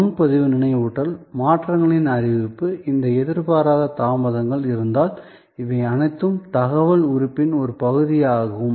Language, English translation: Tamil, So, reservation reminder, notification of changes, if there are these unforeseen delays, these are all part of the information element